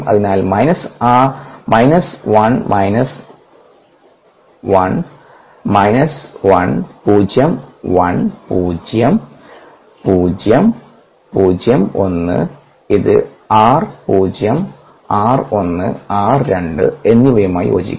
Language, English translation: Malayalam, therefore, minus of r one plusr two, that becomes minus r one minus r two and that equals d s, d p